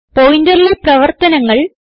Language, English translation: Malayalam, And operations on Pointers